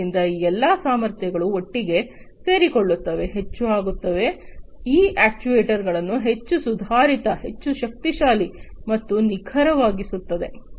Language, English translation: Kannada, So, all of these capabilities combine together, becoming much, you know, making these actuators much more advanced, much more powerful, and much more accurate